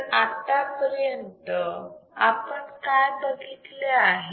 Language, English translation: Marathi, So, what we have seen until now